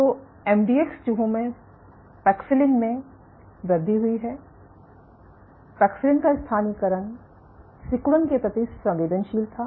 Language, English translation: Hindi, So, there is in MDX mice there is an increase in paxillin, paxillin localization was at a phase was sensitive to contractility